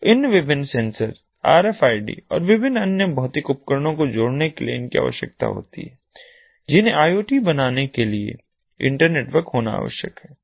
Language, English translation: Hindi, so these are also required in order to connect these different sensors, rfids and different other physical devices that have to be internetwork ah to form the iot